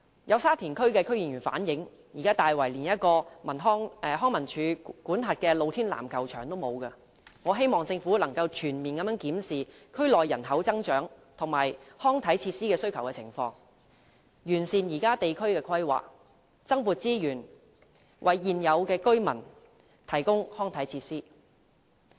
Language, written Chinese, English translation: Cantonese, 有沙田區區議員反映，現時大圍連一個康樂及文化事務署管轄的露天籃球場也欠奉，我希望政府可以全面檢視區內人口增長與康體設施需求的情況，完善現有地區規劃，增撥資源，為現有居民提供康體設施。, Some Members of the Sha Tin District Council have reflected that no outdoor basketball court under the Leisure and Cultural Services Department is provided in Tai Wai at present . I hope the Government will conduct a comprehensive review of the population growth and demand for sports facilities in the district enhance the existing planning of the district and allocate additional resources so as to provide sports facilities to the residents there